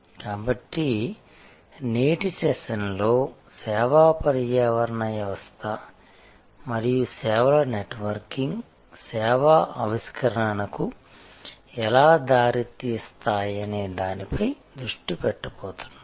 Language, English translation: Telugu, So, today's session we are going to focus on how the service ecosystem and networking of services lead to service innovation